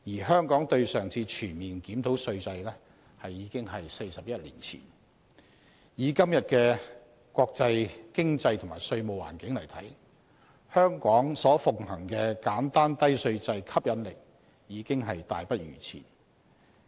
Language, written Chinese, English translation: Cantonese, 香港對上一次全面檢討稅制已經是41年前，以今天的國際經濟和稅務環境來看，香港所奉行的簡單低稅制吸引力已大不如前。, The previous comprehensive review on Hong Kongs tax regime was conducted 41 years ago . Considering the international economic and tax environment today I would think that the appeal of the simple and low tax regime that Hong Kong adheres to has significantly diminished over the years